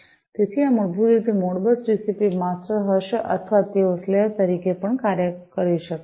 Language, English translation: Gujarati, So, these basically would be the Modbus TCP masters or they can even act as the slaves